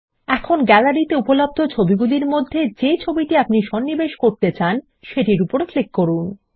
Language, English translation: Bengali, Now go through the images which the Gallery provides and click on the image you want to insert into your document